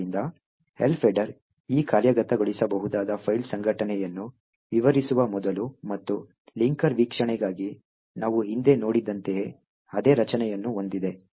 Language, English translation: Kannada, So, as before the Elf header describes the file organisation of this executable and has a very same structure as what we have seen previously for the linker view